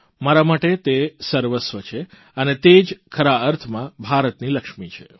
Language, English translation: Gujarati, She is the Lakshmi of India in every sense of the term